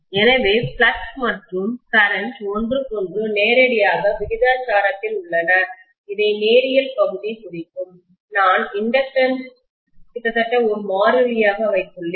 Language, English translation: Tamil, So the flux and current are directly proportional to each other, which is the linear portion representing, I would have almost the inductance to be a constant